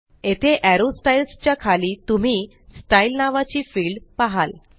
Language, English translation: Marathi, Here, under Arrow Styles you will see the field named Style